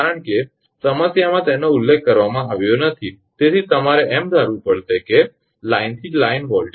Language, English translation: Gujarati, Because as it is not mentioned in the problem you have to assume that is they are line to line voltage